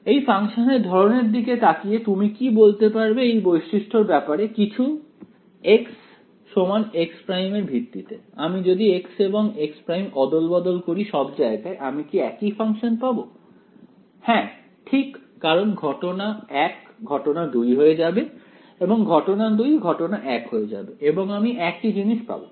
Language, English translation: Bengali, looking at the form of the function can you say anything about it is symmetry properties with respect to x and x prime, if I interchange x and x prime everywhere in this will I get the same function yes right because case 1 will become case 2; case 2 will become case 1 and I will get the same thing